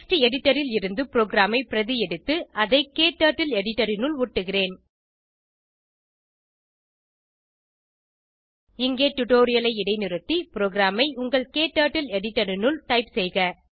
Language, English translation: Tamil, Let me copy the program from text editor and paste it into KTurtle editor Please pause the tutorial here and type the program into your KTurtle editor